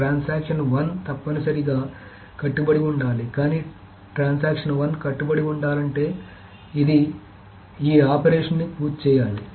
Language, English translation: Telugu, So, transaction 1 must commit, but for transaction 1 to commit it must complete this operation